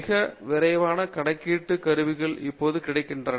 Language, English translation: Tamil, There are extremely fast computational tools that have now become available